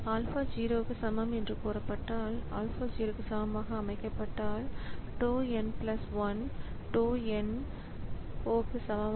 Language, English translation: Tamil, If alpha is set equal to 0 then tau n plus 1 is equal to tau n